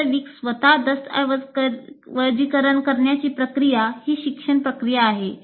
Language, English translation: Marathi, The more you document this, the more actually the process of documenting itself is learning process